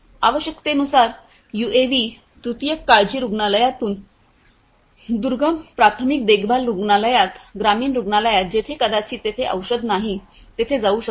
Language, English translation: Marathi, UAVs as per requirement can be flown from a tertiary care hospital, to a remote primary care hospital, a village hospital, where maybe there is no drug